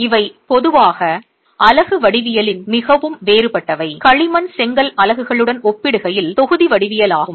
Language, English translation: Tamil, So, these are typically very different in unit geometry, the block geometry in comparison to the clay brick units